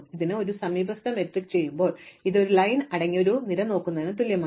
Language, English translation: Malayalam, So, in an adjacency matrix this corresponds to looking at the column containing i